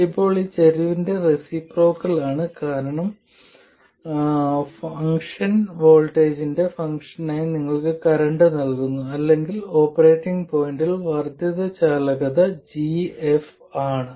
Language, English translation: Malayalam, Now it is the reciprocal of the slope because the function gives you a current as a function of voltage or the incremental conductance G is F prime at the operating point